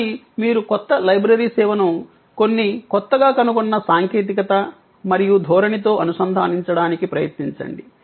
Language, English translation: Telugu, But, you try to integrate the new library service with some new technologies spotting and trend spotting